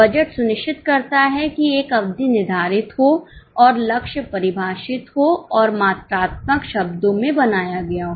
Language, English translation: Hindi, What budget ensures is a period is defined and the goal is defined and is put down in the quantitative terms